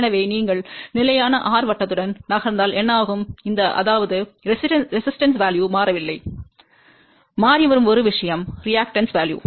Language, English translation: Tamil, So, what happens if you are moving along constant r circle; that means, resistive value has not changed; only thing which is changing is the reactive value